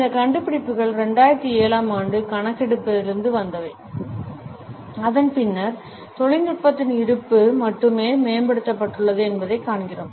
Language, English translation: Tamil, These findings are from a 2007 survey and since that we find that the presence of technology has only been enhanced